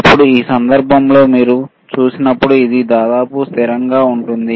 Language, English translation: Telugu, Now in this case, when you see it is almost constant